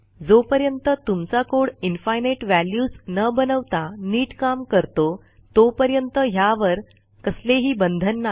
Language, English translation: Marathi, As long as your code works and flows properly and doesnt produce infinite values, you will be fine